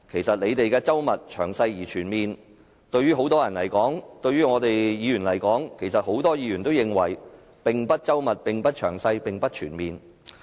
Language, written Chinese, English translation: Cantonese, 政府認為周密、詳細而全面的過程，在很多人和議員而言其實一點也不周密、詳細、全面。, The Government considers the whole process a meticulous detailed and comprehensive one but in the opinion of many people and Members it is not meticulous detailed and comprehensive at all